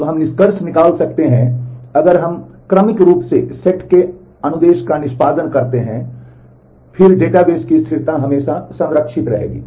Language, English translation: Hindi, So, we can conclude that, if we serially execute a set of instruction set of transactions, then the consistency of the database will always be preserved